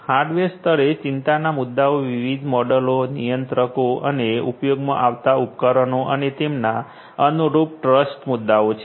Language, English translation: Gujarati, At the hardware level the issues of concern are the different modules, the controllers and the in devices that are being used and their corresponding trust issues and so on